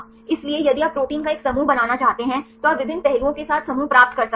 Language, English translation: Hindi, So, if you want to have a group of proteins, you can get the group with different aspects